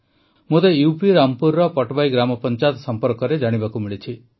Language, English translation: Odia, I have come to know about Gram Panchayat Patwai of Rampur in UP